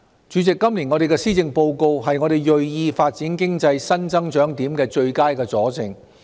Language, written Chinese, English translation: Cantonese, 主席，今年的施政報告是我們銳意發展經濟新增長點的最佳佐證。, President the Policy Address this year is the best illustration of our determination to develop new areas of economic growth